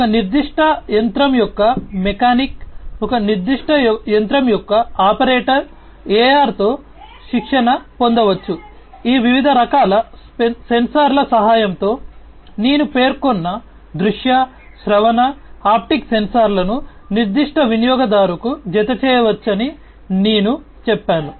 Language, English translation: Telugu, Different you know let us say a mechanic of a particular machine, an operator of a particular machine can be trained with AR, with the help of these different types of sensors, that I just mentioned visual, auditory, haptic sensors can be attached to that particular user or the mechanic or the operator of an industrial machine